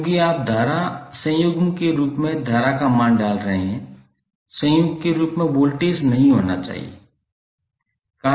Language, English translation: Hindi, Because you’re putting value of current as a current conjugate not be voltage as a conjugate